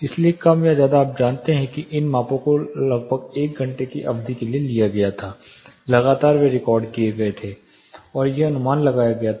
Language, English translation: Hindi, So, more or less you know with this measurements were taken for about one hour duration, continuously they are recorded and this where estimated